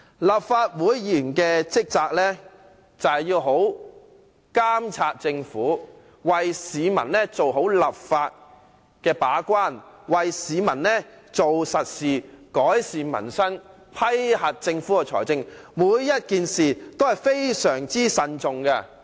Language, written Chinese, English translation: Cantonese, 立法會議員的職責是好好監察政府，為市民做好立法和把關工作，為市民做實事，改善民生，審批政府的財政撥款申請，每個事項均要非常謹慎地進行。, The responsibilities of a Legislative Council Member include monitoring the Government properly enacting laws and playing the role of gate - keeping on behalf of the people doing practical work to serve the people improving peoples livelihood and scrutinizing funding applications submitted by the Government . We have to discharge each responsibility in a very careful manner